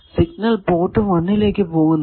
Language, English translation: Malayalam, If I give signal at either port 1 or port 4